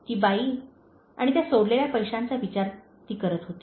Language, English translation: Marathi, She was thinking about the lady and the money she left